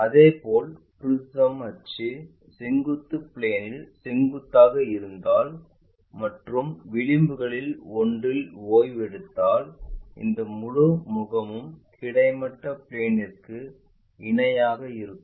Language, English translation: Tamil, Similarly, if prism is prism axis is perpendicular to vertical plane and resting on one of the edge and when we are looking at that this entire face is parallel to horizontal plane